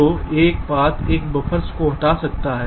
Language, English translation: Hindi, so one of the path one of the buffers might get eliminated